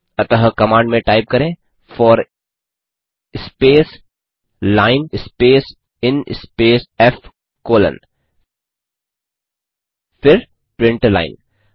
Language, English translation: Hindi, So type in the command for space line space in space f colon , then , print line